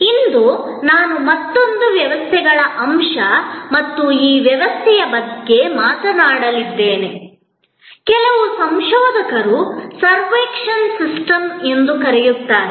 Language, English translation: Kannada, Today, I am going to talk about another systems aspect and this system, some researchers have called servuction system